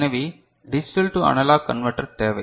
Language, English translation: Tamil, So, you need a digital to analog converter over there right